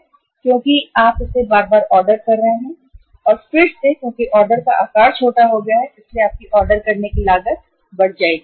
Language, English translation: Hindi, But because you are ordering it again and again and again because the order size has become smaller so your ordering cost will go up